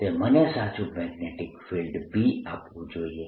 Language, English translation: Gujarati, it should give me correct a, correct ah, magnetic field b